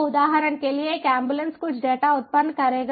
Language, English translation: Hindi, so ambulance, for example, will ah ah ah generate ah some data